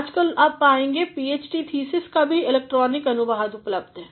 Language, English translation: Hindi, Nowadays, you will find even the electronic version of a PhD thesis are also available